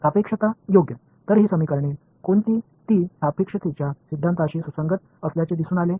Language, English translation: Marathi, Relativity right; so, what these equations they turned out to be consistent with the theory of relativity as well